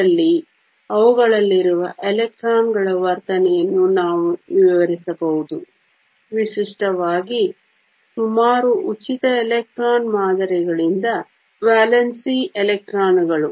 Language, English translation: Kannada, In this, we can describe the behavior of the electrons in them; typically, the valence electrons by nearly free electron models